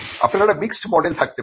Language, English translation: Bengali, You could also have a mixed model